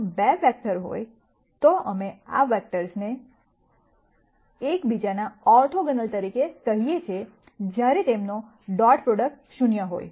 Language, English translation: Gujarati, If there are 2 vectors, we call these vectors as orthogonal to each other when their dot product is 0